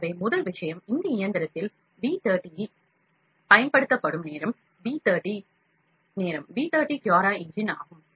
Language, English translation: Tamil, So, first thing the time used in V 30 this machine, V 30 is CuraEngine